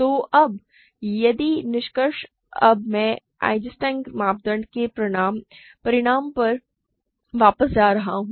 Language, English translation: Hindi, So, now, if the conclusion of, now, I am going to go back to the proof of Eisenstein criterion